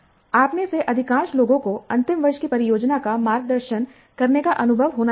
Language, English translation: Hindi, Most of you must be having experience in mentoring the final year project